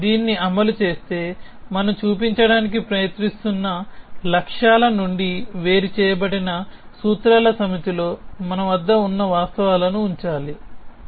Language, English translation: Telugu, If you implementing this we will need to keep the facts that we have in one set of formulas, which are separated from the goals that we are trying to show